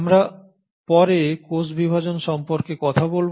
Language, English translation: Bengali, We will talk about cell division later